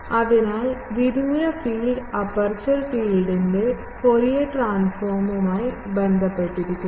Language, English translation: Malayalam, So, the far field is simply related to the Fourier transform of the aperture field